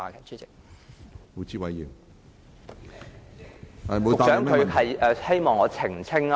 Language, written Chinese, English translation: Cantonese, 主席，局長是否希望我澄清問題？, President does the Secretary want me to clarify my question?